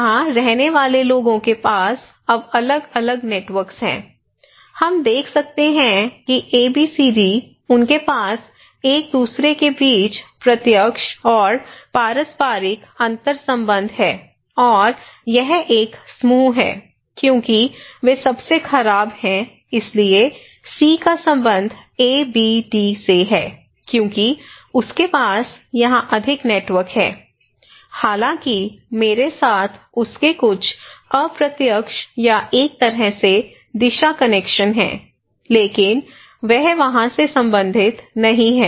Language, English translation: Hindi, People living here and they have different networks now, if we look into here, we can see that ABCD they have direct and reciprocal interconnections between each other, the arrows are ties okay and then so, this is a group one because they are most densely so, C belongs to ABD because he has more network here although, he has some indirect or one way direction connections with I but he does not belong to there